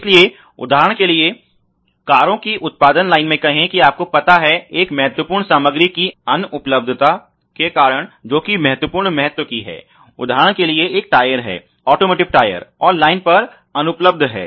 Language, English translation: Hindi, So, for example, let say in production line in cars you may have a concept of you know because of the unavailability of a certain material which is of critical importance let say for example, there is a tyre automotive tyre and there is unavailable on the line